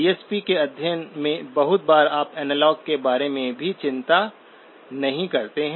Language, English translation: Hindi, In the study of DSP, very often you do not even worry about the analog